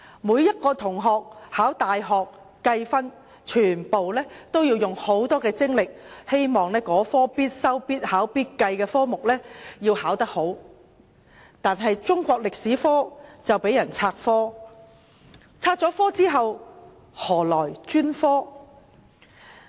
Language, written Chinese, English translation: Cantonese, 每名考大學入學試的同學，均竭力考好這門必修、必考及必計的科目，但中史科卻被"拆科"，要與其他科目合併教授，失去專科的地位。, Every candidate sitting for the university entrance examination has to make strenuous efforts to study this subject which must be taken and examined and the score of which be included in the university entrance requirement . Meanwhile Chinese History has lost its status as a specialized subject as it has to be combined with other subjects in teaching